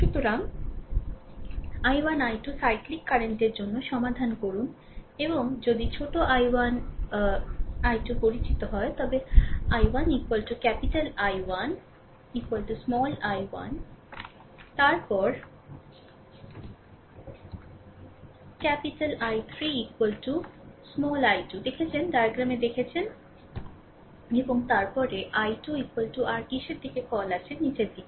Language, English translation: Bengali, So, you solve for i 1 i 2 cyclic current right and if small i 1 i 2 is known, then i 1 is equal to capital I 1 is equal to small i 1, we have seen then capital I 3 is equal to small i 2, we have seen in the diagram and then i 2 is equal to your what you call in the direction is downwards